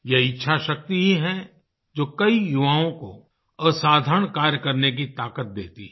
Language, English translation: Hindi, It is this will power, which provides the strength to many young people to do extraordinary things